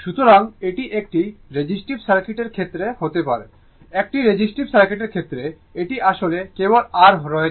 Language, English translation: Bengali, So, so it can be in the case of what you call resistive circuit, in the case of resistive circuit, this one actually only R is there